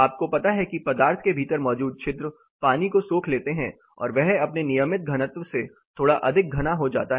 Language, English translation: Hindi, You know pores within the material absorb water they get little more dense than their regular